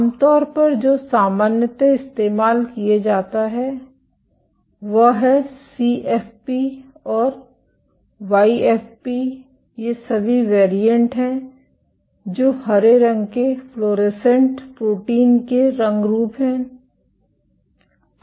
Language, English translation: Hindi, Generally, what is commonly used is CFP and YFP these are all variants these are color variants of green fluorescent protein